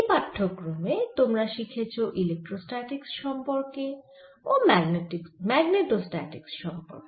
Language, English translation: Bengali, you have learnt in this course about electrostatics, about magnitude statics